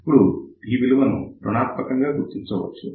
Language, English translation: Telugu, Now, read this value of R as negative